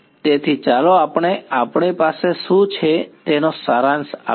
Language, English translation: Gujarati, So, let us just sort of summarize what all we have